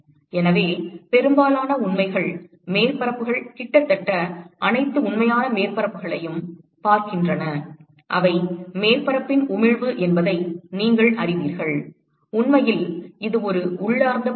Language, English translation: Tamil, So, most of the real surfaces look at almost all the real surfaces the properties that you will know is the emissivity of the surface and in fact, it is an intrinsic property